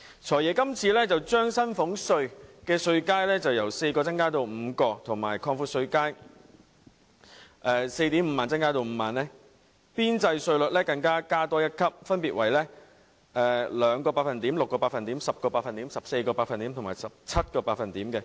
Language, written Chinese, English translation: Cantonese, "財爺"今次建議把薪俸稅稅階由4個增加至5個，邊際稅率分別訂為 2%、6%、10%、14% 及 17%， 並把稅階由 45,000 元擴闊至 50,000 元。, This time the Financial Secretary has proposed to increase the number of tax bands for salaries tax from four to five with marginal rates at 2 % 6 % 10 % 14 % and 17 % respectively and widen the tax bands from 45,000 to 50,000 each